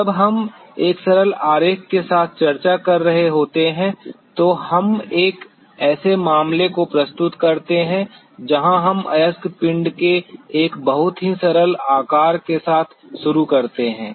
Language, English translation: Hindi, When we are discussing with a simple diagram we presenting a case where we start with a very simple shape of the ore body